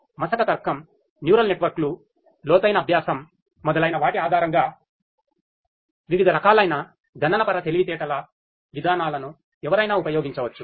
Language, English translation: Telugu, But one could use any of the different types of computational intelligence mechanisms based on may be fuzzy logic, neural networks, deep learning and so on